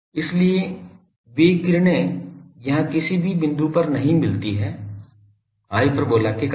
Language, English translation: Hindi, So, they the rays do not meet at any point here, because of the hyperbolas things